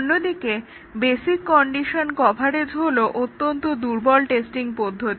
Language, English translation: Bengali, On the other hand, the basic condition coverage is very weak testing